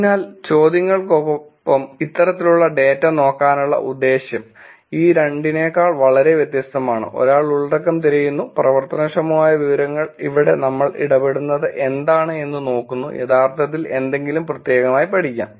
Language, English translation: Malayalam, So with the questions, the intention for looking at these kinds of data is very different than these two, one is looking for content, actionable information here we're looking what the interaction says, can be actually learn something specific